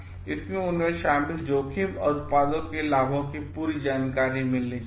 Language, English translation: Hindi, They should be given full information about risk involved and the benefits of the product